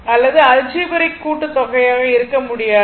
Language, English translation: Tamil, But just cannot be algebraic sum, right